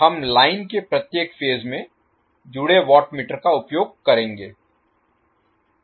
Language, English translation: Hindi, We will use the watt meters connected in each phase of the line